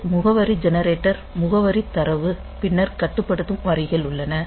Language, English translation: Tamil, So, this address generator address data then control